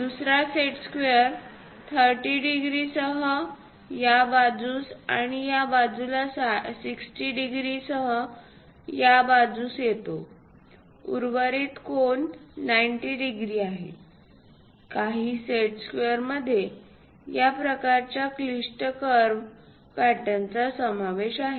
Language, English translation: Marathi, The other set square comes with 30 degrees on this side and 60 degrees on this side; the remaining angle is 90 degrees; some of the set squares consists of this kind of complicated curve patterns also